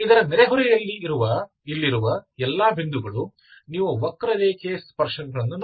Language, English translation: Kannada, In the neighbourhood of this, all the points here, you look at the, for the curve look at the tangents